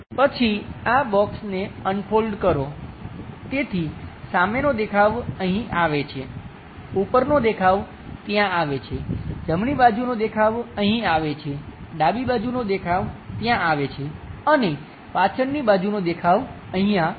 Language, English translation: Gujarati, Then, unfold this box, so the front view comes at this level; the top view comes there; the right side view comes at this level; the left side view comes at that level and the back side view comes at this level